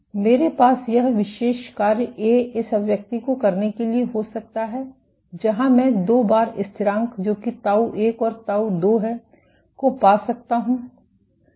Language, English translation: Hindi, I can have this particular function A bar fitted to this expression where, I can find out two time constants; tau 1 and tau 2 is